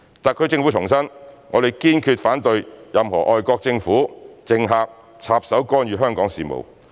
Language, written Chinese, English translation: Cantonese, 特區政府重申，我們堅決反對任何外國政府、政客插手干預香港事務。, The SAR Government has reiterated that we strongly oppose any interference in the affairs of Hong Kong by foreign governments or politicians